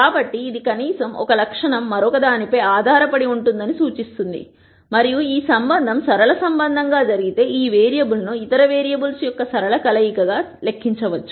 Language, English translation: Telugu, So, this implies that at least one attribute is dependent on the other and if this relationship happens to be a linear relationship then this variable can be calculated as a linear combination of the other variables